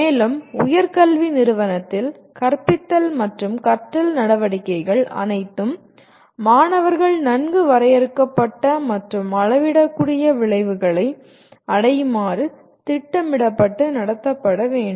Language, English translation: Tamil, And all teaching and learning activities in higher education institution should be planned and conducted to facilitate the students to attain well defined and measurable outcomes